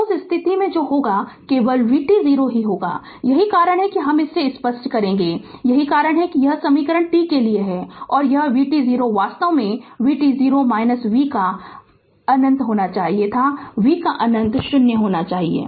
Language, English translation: Hindi, So, in that case what will happen only v t 0 will be there that is why this is let me clear it, that is why this equation is there t o to t and this v t 0 it is actually should have been v t 0 minus v of minus infinity, but v of minus infinity should be 0 right